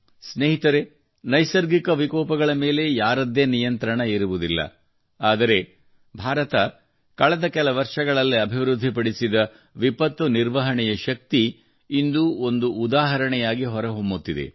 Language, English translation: Kannada, Friends, no one has any control over natural calamities, but, the strength of disaster management that India has developed over the years, is becoming an example today